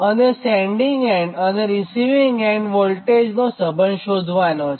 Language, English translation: Gujarati, then what will be the relationship between sending end and receiving end voltage